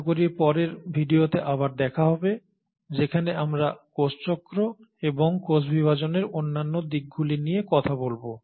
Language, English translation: Bengali, And hopefully I will see you again in the next video where we will talk about cell cycle, and other aspects of cell division